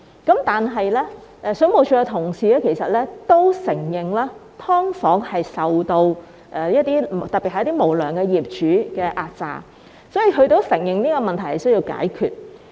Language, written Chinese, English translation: Cantonese, 其實，水務署的同事都承認"劏房"租戶特別受到無良業主的壓榨，所以他們都承認這個問題需要解決。, Actually WSD also recognized that tenants of subdivided units were particularly vulnerable to oppression by unscrupulous owners . Hence the department also admitted that this problem needed to be dealt with